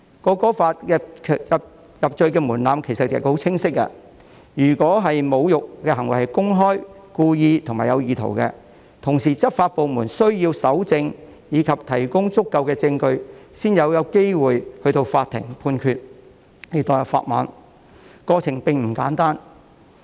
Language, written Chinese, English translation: Cantonese, 《條例草案》的入罪門檻其實十分清晰，如果侮辱的行為是公開、故意和有意圖，而且執法部門需要搜證，以及提供足夠證據，才有機會交由法庭判決，要墮入法網，過程並不簡單。, The conviction threshold under the Bill is actually very clear . Only when the insulting behaviour is committed publicly deliberately and intentionally and the law enforcement authorities need to collect evidence and provide sufficient evidence it will then be possible for the case to be referred to the court for judgment . It is not a simple process for someone to be caught by the law